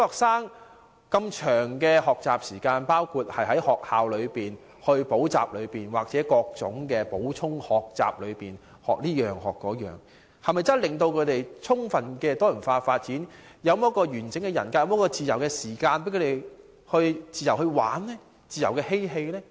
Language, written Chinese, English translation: Cantonese, 小學生的學習時間這麼長，包括在學校、補習社或各種補充學習各式各樣的東西，是否真的能夠令他們得到充分的多元發展，建立完整人格，他們又是否有自由時間玩耍和嬉戲呢？, Since primary students have to spend so many hours on learning in schools tuition centres and joining all sorts of supplementary learning activities can they really fully enjoy diverse development and develop a well - rounded personality? . Do they have free time to play?